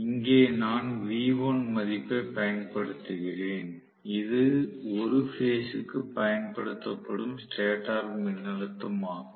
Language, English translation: Tamil, Here is where I am actually applying the value v1 that is the stator voltage applied per phase